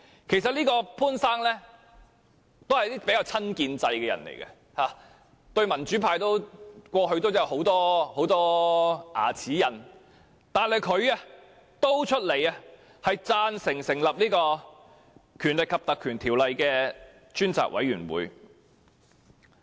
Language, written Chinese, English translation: Cantonese, 其實，潘先生是比較親建制的人，過去與民主派有很多"牙齒印"，但他也贊成立法會引用《條例》成立專責委員會。, Actually Mr POON is a rather pro - establishment figure who used to have many grudges against the pro - democracy camp and yet he is in favour of the Legislative Council invoking the Ordinance to set up a select committee